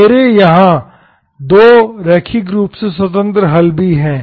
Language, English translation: Hindi, And these are 2 linearly independent solutions